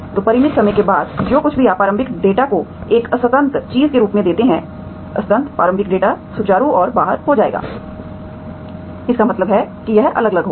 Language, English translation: Hindi, So as T, after finite time you always, whatever you give initial data as a discontinuous thing, discontinuous initial data will be smoothened and out, that means it will be differentiable